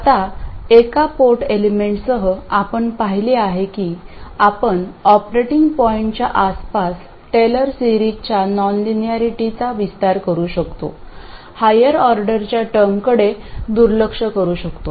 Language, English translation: Marathi, Now, with one port elements, we have seen that we could write the equations, then expand the non linearities in a Taylor series around the operating point, neglect higher order terms and so on